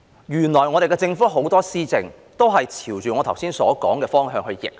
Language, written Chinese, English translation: Cantonese, 原來我們的政府很多施政都是朝着我剛才所說的方向逆行。, It turns out that many of our Governments policies are implemented in a direction opposite to what I have just said